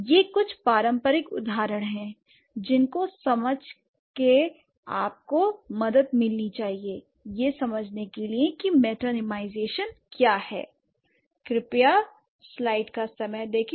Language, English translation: Hindi, So, that's what these are a few traditional examples which should help you to understand what metonymization is